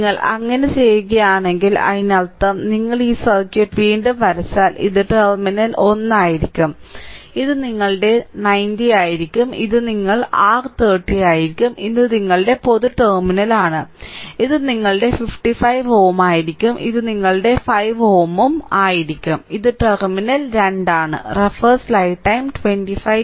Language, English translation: Malayalam, So, if you do so; that means, if you redraw this circuit again if we redraw this circuit again, then this will be terminal 1 and this will be your 90 ohm and this will be your 10 ohm this is your common terminal and, this will be your 55 ohm and this will be your 5 ohm and this is terminal 2 right